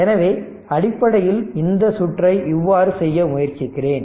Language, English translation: Tamil, So, basically the circuit I am trying to make it like this; this is 2 right